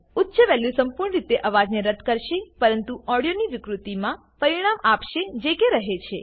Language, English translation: Gujarati, Higher values will remove the noise completely but will result in distortion of the audio that remains